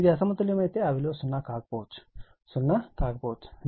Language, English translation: Telugu, If it is unbalanced may be 0, may not be 0 right